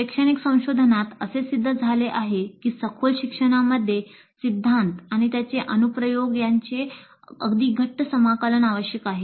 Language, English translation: Marathi, And the educational research has shown that deep learning requires very tight integration of theory and its application